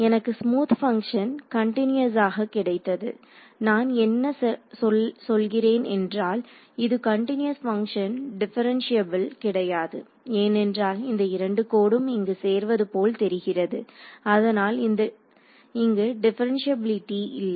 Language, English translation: Tamil, So, I have got a smooth function continuous I mean it's a continuous function its not differentiable because we can see its like 2 lines meeting here